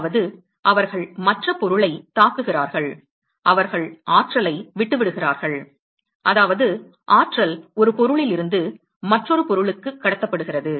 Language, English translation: Tamil, I mean they hit the other object they leave the energy that is how the energy is being transmitted from one object to another